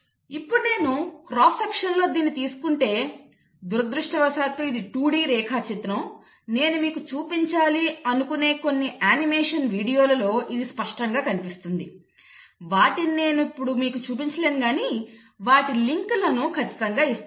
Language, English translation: Telugu, Now if I were to take a cross section, this is I am, this is a 2 D diagram unfortunately, it will become clearer in some animation videos which I will show you; I cannot show you but I will definitely give you the links for those